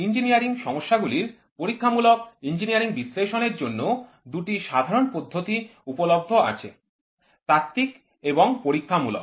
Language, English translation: Bengali, Engineering Experimental Engineering Analysis in solving engineering problems two general methods are available, theoretical and experimental